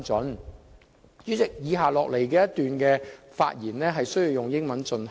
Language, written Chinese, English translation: Cantonese, 代理主席，以下一段發言需要以英文進行。, Deputy President I need to speak in English in the following part of my speech